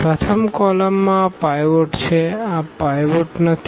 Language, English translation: Gujarati, The first column has a pivot